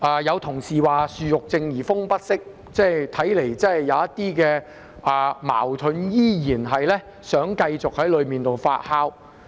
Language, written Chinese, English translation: Cantonese, 有同事說"樹欲靜而風不息"，看來真的有點矛盾，依然繼續在當中發酵。, As an Honourable colleague said The tree longs for calmness but the wind will not subside . It seems some conflicts are indeed still being fomented